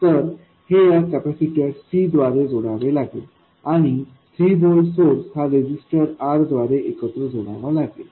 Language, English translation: Marathi, So, this has to be coupled through a capacitor C and the 3 volt source has to be coupled through a resistor R